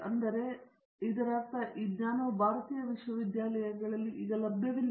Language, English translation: Kannada, Therefore, this means this knowledge is not available in Indian universities